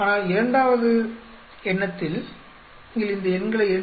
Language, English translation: Tamil, But then on second thought if you look at these numbers 2